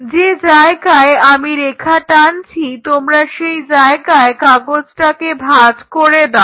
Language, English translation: Bengali, Just like you have done paper folding you fold this wherever I drew the line you fold it